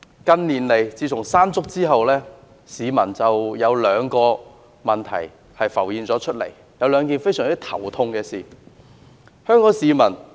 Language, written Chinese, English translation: Cantonese, 近年來，自從颱風山竹吹襲過後，市民腦海浮現了兩個令人非常頭痛的問題。, In recent years in the wake of the onslaught of typhoon Mangkhut two issues have become the major headaches in the minds of the people